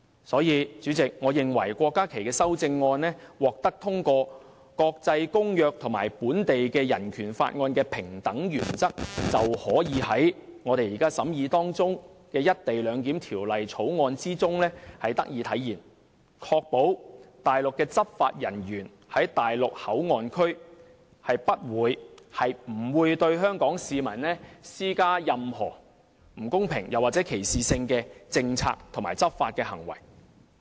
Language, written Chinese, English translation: Cantonese, 所以，代理主席，我認為郭家麒議員的修正案如獲得通過，國際公約和本地的《人權法案條例》的平等原則便可以在我們現正審議的《條例草案》中體現，以確保內地的執法人員在內地口岸區不會對香港市民施加任何不公平或歧視性的政策和執法行為。, For this reason Deputy Chairman I believe that if Dr KWOK Ka - kis amendment is passed the principle of equality found in international covenants and BORO can be manifested in the Bill now under examination to ensure that Mainland law enforcement officers will not impose any unfair or discriminatory policy or law enforcement actions on Hong Kong residents in MPA